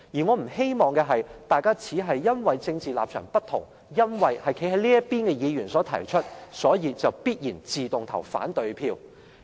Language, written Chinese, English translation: Cantonese, 我不希望大家只因為政治立場不同，因為修訂是由站在這邊的議員提出，便必然地、自動地投反對票。, I hope Members will not consider the amendments merely from their political stance and veto as a matter of course amendments proposed by Members from the other side